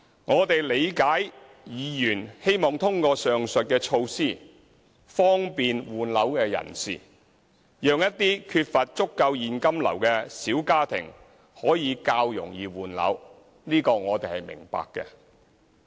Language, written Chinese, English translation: Cantonese, 我們理解，議員希望通過上述措施方便換樓人士，讓一些缺乏足夠現金流的小家庭可以較容易換樓。, We understand that these Members want to facilitate those who are trying to replace their residential properties and make it easier for families which do not have sufficient cash flow to replace their properties